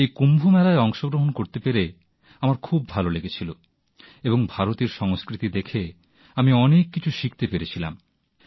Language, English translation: Bengali, I felt good on being a part of Kumbh Mela and got to learn a lot about the culture of India by observing